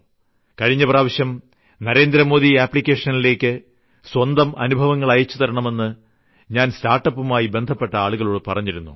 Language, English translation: Malayalam, Last time, I told people associated with startup to narrate their experiences and send it to me on 'Narendra Modi App'